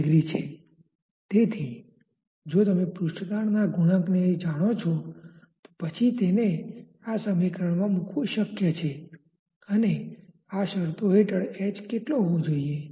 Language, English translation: Gujarati, So, if you know the surface tension coefficients then it is possible to put that in this expression and find out what should be the h under these conditions